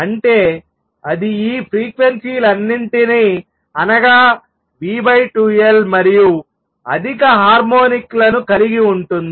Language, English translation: Telugu, So, if this particle what to radiate it will contain all these frequencies v over 2L and higher harmonics